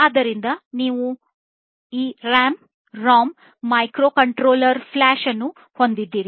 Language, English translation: Kannada, So, you have this RAM, ROM microcontroller flash and so on